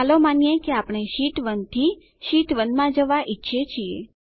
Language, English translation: Gujarati, Lets say we want to jump from Sheet 1 to Sheet 2